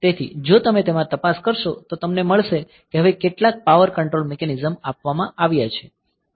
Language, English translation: Gujarati, So, if you look into you will find now some power control mechanism has been provided